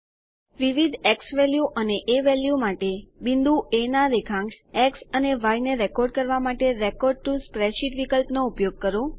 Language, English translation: Gujarati, Use the Record to Spreadsheet option to record the x and y coordinates of point A, for different xValue and a values